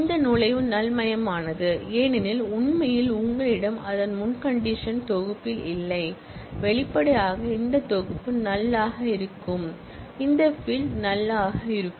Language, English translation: Tamil, This entry is null, because actually you do not have that in the prerequisite set and; obviously, this set will be null, this field will be null